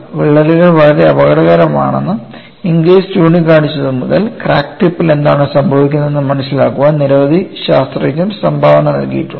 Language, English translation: Malayalam, Ever since Inglis pointed out cracks are very dangerous, several scientists have contributed in understanding what happens at the crack tip